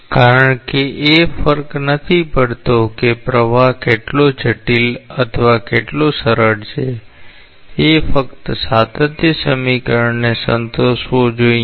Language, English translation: Gujarati, Because no matter how complex or how simple the flow is it should satisfy the continuity equation